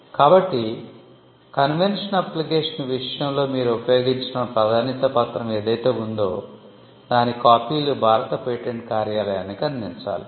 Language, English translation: Telugu, So, whatever priority document that you used in the case of a convention application, copies of that has to be provided to the Indian patent office